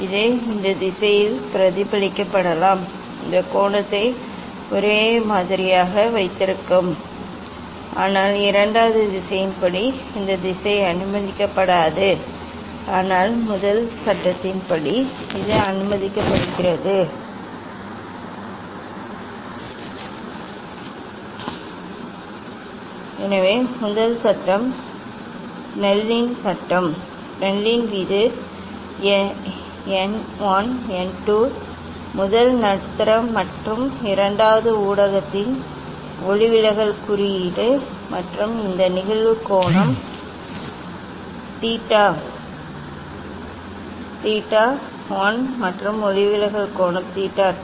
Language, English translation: Tamil, it can be refracted in this direction, it can be the refracted in this direction keeping the angle same, but this direction is not allowed as per the second law, but as per the first law it is allowed, So and first law is Snell s law; Snell s law this, n 1 n 2 if the refractive index of first medium and second medium and this incidence angle theta 1 and refracted angle theta 2